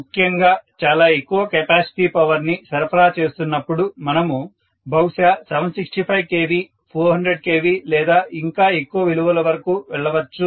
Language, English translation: Telugu, Especially, when you are transmitting a very large capacity of power, we may go as high as 765 KV, 400 KV and so on